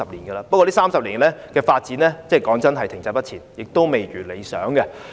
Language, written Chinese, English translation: Cantonese, 不過老實說，這30年來相關的發展停滯不前，未如理想。, Honestly the development in this regard in the past 30 years has been minimal and hardly satisfactory